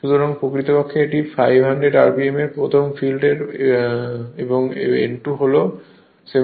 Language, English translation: Bengali, So, if you if an n 1 is 500 rpm first case and n 2 is the 750